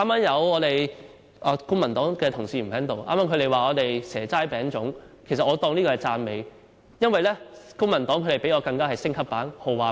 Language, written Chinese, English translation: Cantonese, 現在公民黨的同事不在席，他們剛才指我們"蛇齋餅粽"，其實我視之為讚美，因為與我們相比，公民黨是升級版、豪華版。, Just now Honourable colleagues from the Civic Party talked about treats and I take this as a complement indeed . The Civic Party does even more high class than we do a deluxe version for they are giving away Kamei chickens